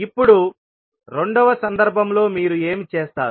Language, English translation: Telugu, Now, in the second case what you will do